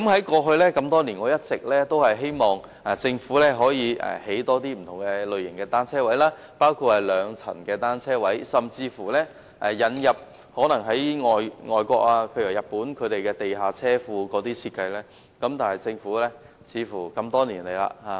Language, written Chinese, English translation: Cantonese, 過去多年來，我一直希望政府可以多興建不同類型的單車泊位，包括兩層的單車泊位，甚至採用外國的地下車庫設計，但政府似乎多年來也沒有作出回應。, Over the years I have always hoped that the Government can develop various types of bicycle parking spaces such as double - decked bicycle parking spaces or even adopting the design of underground bicycle park in foreign countries . But the Government seems to have given no response over the years